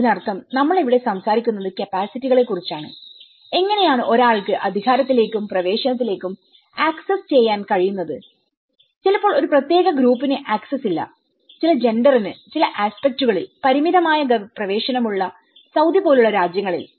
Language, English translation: Malayalam, So which means we are talking here about the capacities, how one is able to access to the power and the access and maybe a certain group is not having an access, maybe in countries like Saudi where gender have a limited access to certain aspects